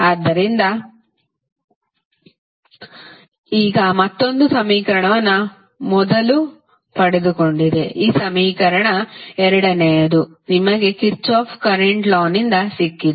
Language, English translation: Kannada, So, now have got another equation first is this equation, second you have got from the Kirchhoff Current Law